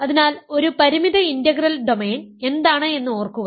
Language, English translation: Malayalam, So, remember that, what is a finite integral domain